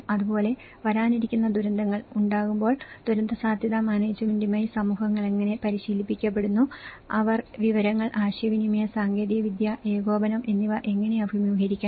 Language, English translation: Malayalam, Similarly, how the communities are trained with the disaster risk management in the event of the upcoming disasters, how they have to face and the information, communication technology and coordination